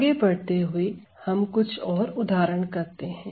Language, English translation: Hindi, Moving on, we have few more another example